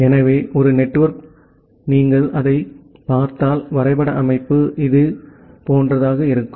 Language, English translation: Tamil, So, ideally a network if you look into it is graph structure, it will look something like this